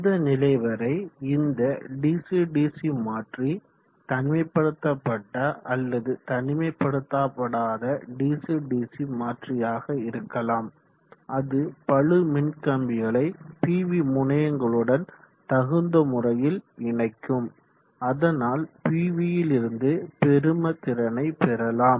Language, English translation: Tamil, Up to this portion e know and this dc dc convertor can be any dc dc convertor either non isolated or isolated which will appropriately do the matching of the load line to the pv terminals in such way that maximum power is drawn from the pv